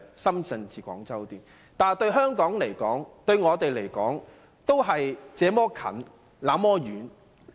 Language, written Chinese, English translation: Cantonese, 可是，這些對香港來說、對我們來說，卻是"這麼近，那麼遠"。, Yet the express speed rail still remains so distant from Hong Kong although it seems so close at hand somehow